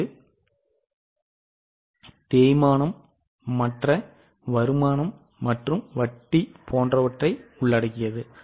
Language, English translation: Tamil, Charging the depreciation, other income and interest, etc